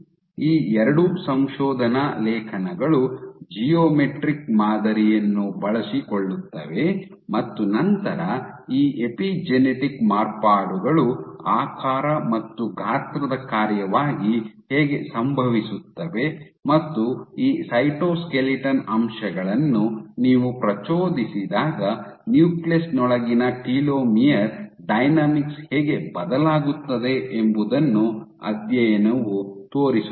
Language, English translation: Kannada, So, both these papers make use of a geometrical pattern and then study how you have these epigenetic modifications happening as a function of shape and size, and how telomere dynamics and within the nucleus how dynamics change when you perturb this cytoskeleton elements